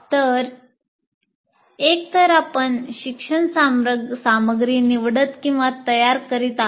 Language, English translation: Marathi, So either you are selecting or preparing